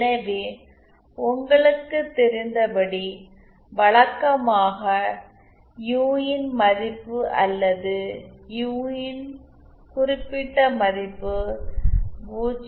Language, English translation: Tamil, So usually you know the value of U say usual value of or particular value of U if it is 0